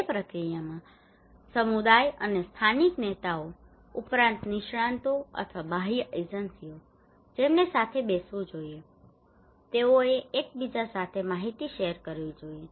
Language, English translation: Gujarati, In that process, the community and the local leaders along plus the experts or the external agencies they should sit together, they should share informations with each other